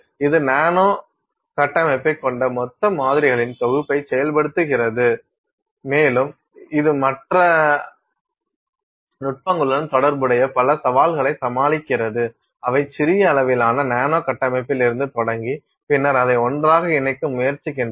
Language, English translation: Tamil, It enables your synthesis of bulk samples that have nanostructure and it overcomes many of the challenges associated with other techniques which are starting off with tiny quantities of a nanostructure and then trying to put it together